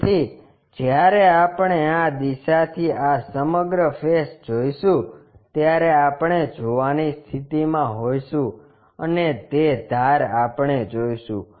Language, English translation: Gujarati, So, when we are looking from this direction this entire face we will be in a position to see and that edge we will see